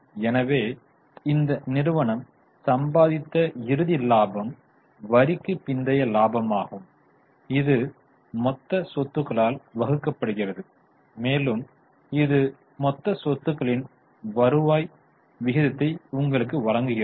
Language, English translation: Tamil, So, the final profits which you earn or profit after tax divided by total assets give you return ratio on total assets